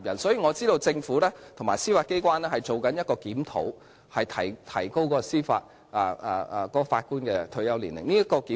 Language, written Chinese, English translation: Cantonese, 所以，我知道政府和司法機關正進行檢討，提高法官的退休年齡。, Therefore I know that the Government and the Judiciary are conducting a review of raising the retirement age of Judges